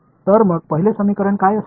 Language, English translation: Marathi, So, what will the first equation